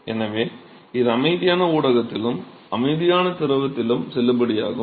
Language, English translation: Tamil, And so, it is valid in the quiescent medium as well in the quiescent fluid as well